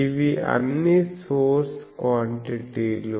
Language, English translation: Telugu, This is all source quantities